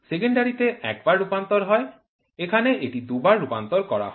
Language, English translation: Bengali, Secondary is one translation, here it is two translations